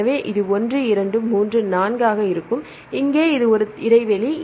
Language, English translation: Tamil, So, this will be 1, 2, 3, 4 right and here this is a gap